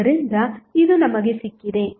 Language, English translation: Kannada, So, this is we have got